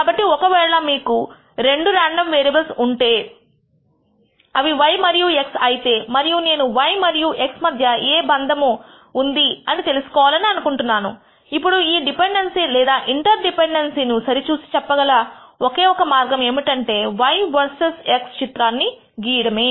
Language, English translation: Telugu, So, if you have two random variables, let us say y and x and I want to know whether there is any relationship between y and x, then one way of visually verifying this dependency or interdependency is to plot y versus x